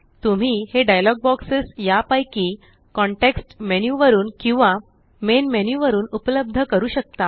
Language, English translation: Marathi, You can access these dialog boxes either from the Context menu or from the Main menu